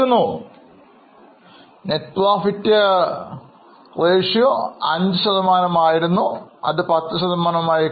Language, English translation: Malayalam, So, net profit was 5% went up to 10% is now 8